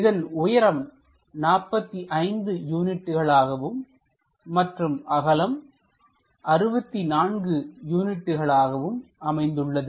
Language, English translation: Tamil, The height it is 45 units and this one width 64 units